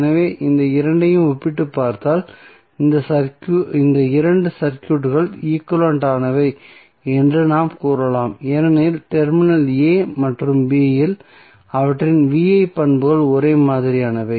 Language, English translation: Tamil, So, if you compare these two we can say that these two circuits are equivalent because their V I characteristics at terminal a and b are same